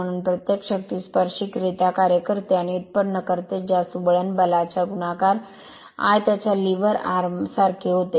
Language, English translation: Marathi, So, each of the force act tangentially and produces you are what called turning moment equal to the force multiplied by its lever arm right